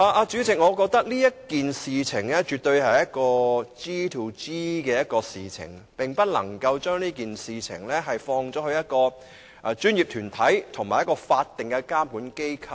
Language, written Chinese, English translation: Cantonese, 主席，我認為此事絕對是 "G2G" 的事情，不能單單依賴一個專業團體及一間法定監管機構。, President I think this is absolutely a G2G issue and the authorities should not solely rely on a single professional organization and a statutory regulatory body